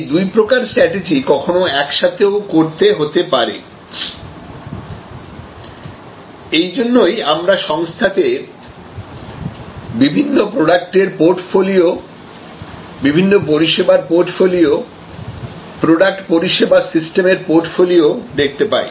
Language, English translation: Bengali, Both types of strategies may have to be executed at the same time and that is why we often see in organizations, that there is this concept of portfolio, portfolio of different products, portfolio of different services, portfolio of product service systems